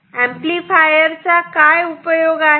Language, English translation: Marathi, So, what is the purpose of an amplifier